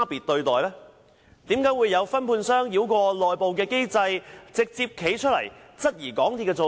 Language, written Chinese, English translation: Cantonese, 為何有分判商繞過內部機制，直接站出來質疑港鐵公司的做法？, Why did a subcontractor bypass the internal mechanism and directly step forward to challenge MTRCLs handling of the issue?